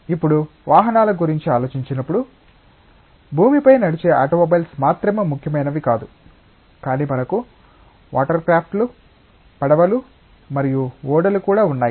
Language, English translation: Telugu, Now, when we think of vehicles not just automobiles which run on land are important, but we have also watercrafts, boats and ships